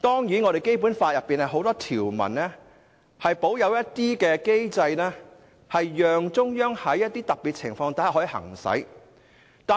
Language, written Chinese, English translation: Cantonese, 此外，《基本法》多項條文均保有若干機制，讓中央在一些特別情況下行使。, Moreover there are a number of provisions in the Basic Law which empower the Central Authorities to exercise certain powers under special circumstances